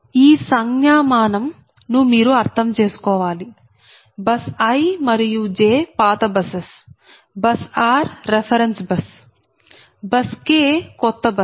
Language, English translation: Telugu, so i have told you that bus i and j, they are old buses, right, and k is a new bus and r is a reference bus